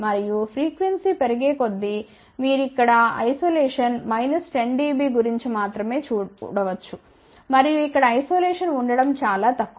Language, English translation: Telugu, And, as the frequency increases you can see isolation here is only about minus 10 dB and here isolation is extremely poor ok